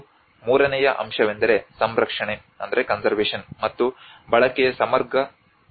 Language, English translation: Kannada, And the third aspect is the comprehensive plan for conservation and utilization